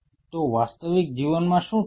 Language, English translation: Gujarati, So, what will happen real life